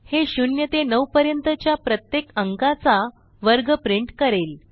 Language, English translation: Marathi, This will print the square of each number from 0 to 9